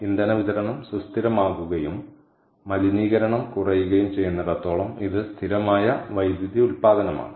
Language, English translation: Malayalam, that way it is a stable power generation, as long as the fuel supply is stable, ok, and it is less polluting